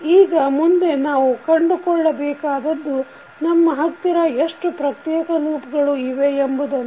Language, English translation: Kannada, Now, next is we need to find out how many individual loops we have